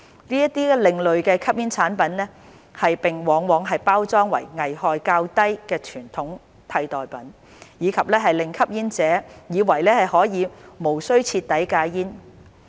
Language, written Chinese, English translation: Cantonese, 這些另類吸煙產品往往包裝為危害較低的傳統煙替代品，令吸煙者以為可以無須徹底戒煙。, These ASPs are often packaged as less harmful alternatives to conventional cigarettes to make smokers think that they do not have to quit smoking completely